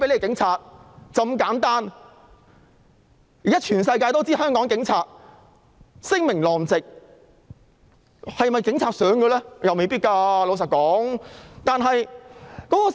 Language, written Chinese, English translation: Cantonese, 現在全世界也知道香港警察聲名狼藉，但警察是否也想如此？, Now the whole world knows about the notoriety of the Hong Kong Police . But do the Police want that?